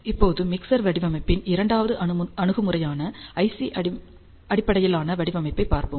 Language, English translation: Tamil, Now, we will see the second approach of mixer design which is IC based design